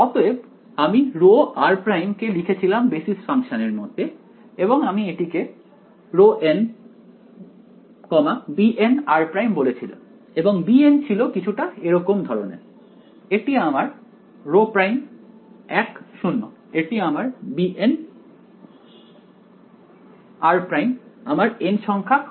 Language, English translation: Bengali, So, I wrote of I wrote rho of r prime in terms of the basis functions right I called it let us say some rho n, b n r prime right and b n was something like this, this is my r prime 1 0 this was my b n r prime right nth segment